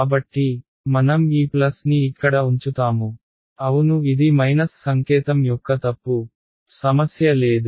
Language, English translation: Telugu, So, we will keep this plus over here yeah that was a mistake of a minus sign no problem